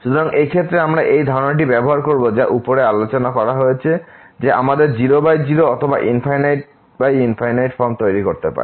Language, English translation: Bengali, So, in this case we will use this idea which is discussed above that we can make either 0 by 0 or infinity by infinity form